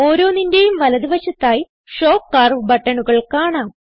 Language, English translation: Malayalam, On the rightside corresponding Show curve buttons are seen